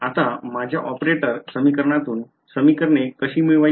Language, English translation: Marathi, Now, how do we get a system of equations from my operator equation